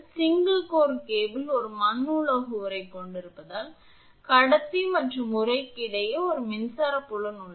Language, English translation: Tamil, Since, the single core cable has an earthed metallic sheath there is an electric field between the conductor and sheath